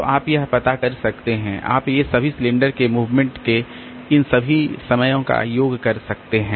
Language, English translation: Hindi, So, you can find out, you can up all these time, all these say disk movement across cylinders